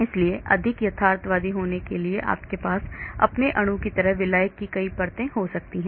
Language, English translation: Hindi, so to be more realistic you may have many layers of solvent like your molecule